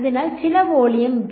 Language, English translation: Malayalam, So, some volume V